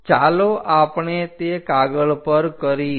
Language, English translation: Gujarati, So, let us do that on sheet